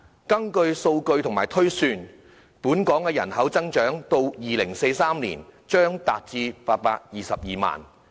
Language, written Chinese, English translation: Cantonese, 根據數據及推算，到了2043年，本港的人口將達822萬。, According to data and projections by 2043 the population of Hong Kong will reach 8.22 million